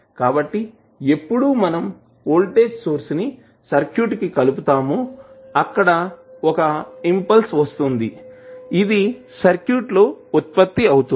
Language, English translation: Telugu, So, when you apply a voltage source to a circuit there would be a sudden impulse which would be generated in the circuit